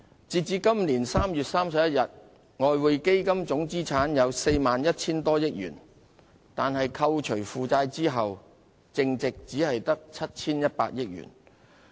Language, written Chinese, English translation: Cantonese, 截至今年3月31日，外匯基金總資產有 41,000 多億元，但扣除負債後的淨值只有 7,100 億元。, As at 31 March this year the total assets of the Exchange Fund stood at 4,100 - odd billion but its net assets after the deduction of liabilities only amounted to 710 billion